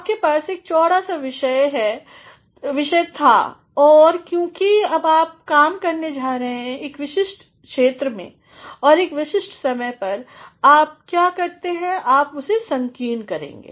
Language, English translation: Hindi, You had a broad topic and since you are going to now work in a particular area and on a particular topic, what you do is you are going to narrow it down